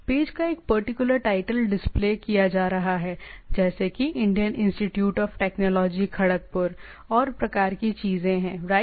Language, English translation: Hindi, So, here if you see that is a particular title of the page is being displayed like which Indian Institute of Technology Kharagpur and type of things right